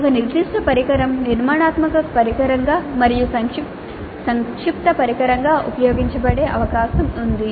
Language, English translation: Telugu, It is possible that a particular instrument is used both as a formative instrument as well as summative instrument